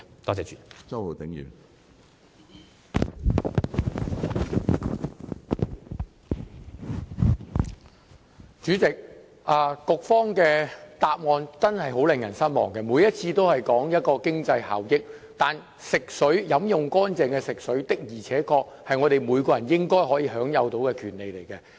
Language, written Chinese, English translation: Cantonese, 主席，局方的答覆真的很令人失望，每次都說經濟效益，但飲用清潔的食水的確是每個人應該享有的權利。, President the Secretarys reply is very disappointing . In each reply he mentions cost - effectiveness . But truly every person should have a right to access clean potable water